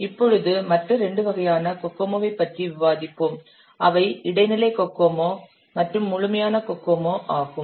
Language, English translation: Tamil, Now let's take about other two types of cocoa, that is intermediate cocomo and complete cocoa